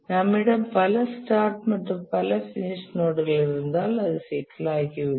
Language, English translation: Tamil, If we have multiple start and multiple end node, it becomes complicated